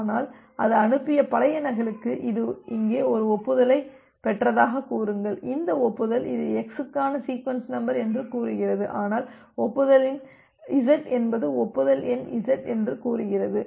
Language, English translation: Tamil, But for the old duplicate that it has sent, say it has received one acknowledgement here, this acknowledgement says that it is a sequence number for x, but the acknowledgement number says that well the acknowledgement number is z